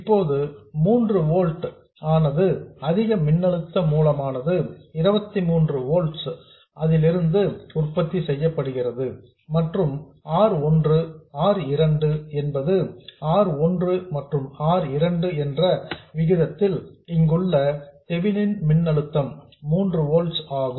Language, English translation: Tamil, Now the 3 volt itself is produced from a higher voltage source, 23 volts in our case and R1, R2, where the ratio R1 by R2 is such that the Theminine voltage here is 3 volts